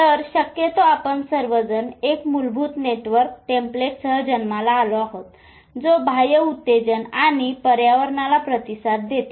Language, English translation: Marathi, So, possibly we all are born with a basic network template which responds to the external stimuli